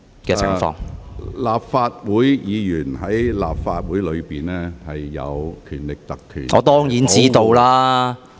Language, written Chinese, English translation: Cantonese, 鄭議員，立法會議員在立法會的言論受《立法會條例》保障......, Dr CHENG Members remarks made in the Legislative Council are protected by the Legislative Council Ordinance